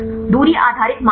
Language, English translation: Hindi, Distance based criteria